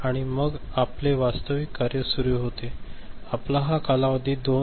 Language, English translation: Marathi, And then we are in the business, your this span is this is 2